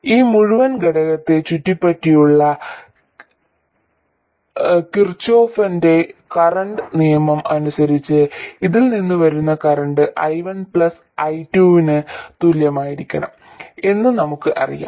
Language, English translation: Malayalam, And by Kirchkhov's current law around this entire element we know that the current coming out of this has to be equal to I1 plus I2